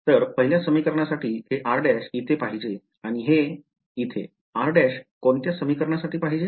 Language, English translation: Marathi, So, this is where r prime should be right for equation 1 and this is where r prime should be for equation